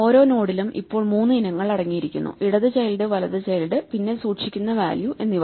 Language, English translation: Malayalam, So, each node now consist of three items the value being stored the left child and the right child